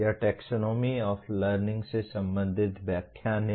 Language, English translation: Hindi, This is the lecture related to the Taxonomy of Learning